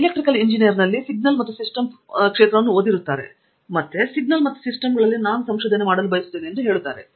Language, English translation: Kannada, Like in Electrical engineering there is an area called signals and systems they would take that area and they will say I want to do research in signals and systems